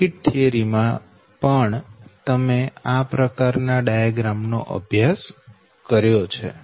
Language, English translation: Gujarati, also, you have studied this kind of diagram, right